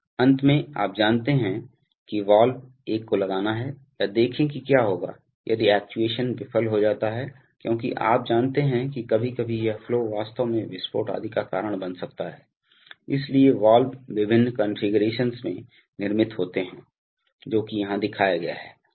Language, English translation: Hindi, The, lastly, you know valves are, one has to put a, or have a view towards what will happen if the actuation fails, because, you know sometimes this flows can actually cause explosions etc, so valves are constructed in various configurations which are shown here